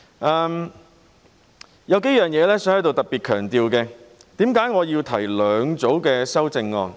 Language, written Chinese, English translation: Cantonese, 我想在此特別強調數點，為何我要提出兩組修正案？, I would hereby emphasize a few points . Why have I proposed two sets of amendments?